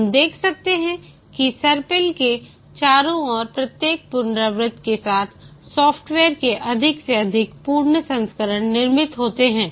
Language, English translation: Hindi, We can see that with each iteration around the spiral, more and more complete versions of the software get built